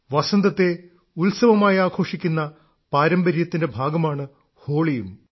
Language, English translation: Malayalam, Holi too is a tradition to celebrate Basant, spring as a festival